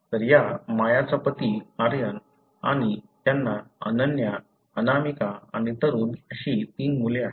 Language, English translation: Marathi, So, this Maya’s husband Aryan and she has three children that is Ananya, Anamika and Tarun